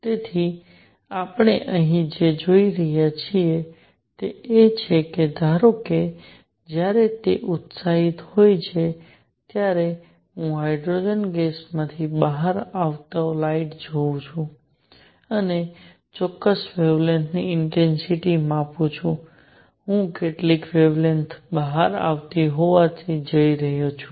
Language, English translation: Gujarati, So, what we are seeing here is that suppose, I take the light coming out of hydrogen gas when it is excited and measure the intensity of particular wavelengths, I am going to see certain wavelengths coming out